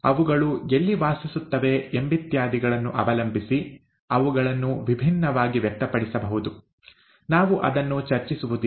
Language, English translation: Kannada, They could be expressed differently depending on where they reside and so on and so forth, we will not get into that